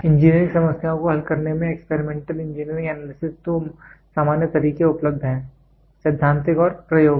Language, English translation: Hindi, Engineering Experimental Engineering Analysis in solving engineering problems two general methods are available, theoretical and experimental